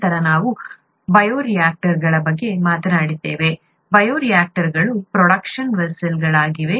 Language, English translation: Kannada, Then we talked of bioreactors; bioreactors are the production vessels